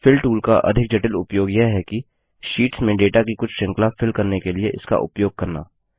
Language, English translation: Hindi, A more complex use of the Fill tool is to use it for filling some series as data in sheets